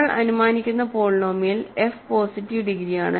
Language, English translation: Malayalam, The polynomial f is positive degree we are assuming